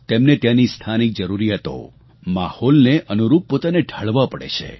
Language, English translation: Gujarati, They have to mould themselves according to the local needs and environment